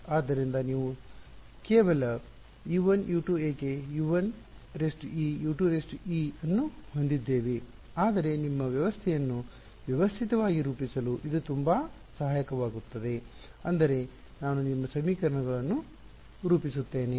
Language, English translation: Kannada, So, why we you just U 1 U 2 why have this U 1 e U 2 e all of that, but it becomes very helpful to systematically form your system I mean form your equations